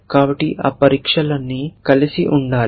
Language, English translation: Telugu, So, all those tests should be will together